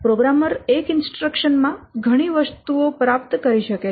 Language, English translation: Gujarati, In one instruction, the programmer may achieve several things